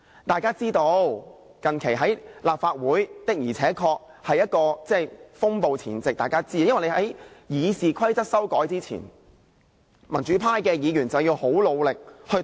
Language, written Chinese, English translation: Cantonese, 大家也知道，近期立法會確實處於風暴前夕，因為在修訂《議事規則》前，民主派議員要努力地抵擋。, As we all know the Legislative Council is really on eve of a violent thunderstorm . The democratic Members have to try their best to resist the proposed RoP amendments